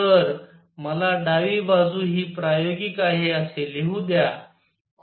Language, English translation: Marathi, So, let me write this left hand side is experimental